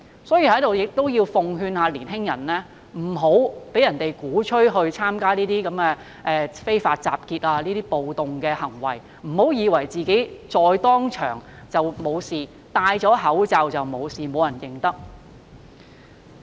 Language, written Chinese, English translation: Cantonese, 所以，我要在此奉勸年青人，不要被人鼓吹參加非法集結和暴動，不要以為戴上口罩便不會被認出、沒有事。, Hence I advise young people to avoid being preached into taking part in unlawful assemblies and riots and must not think that they are unrecognizable with a mask on . These clashes made the relationship between the Police and the public very tense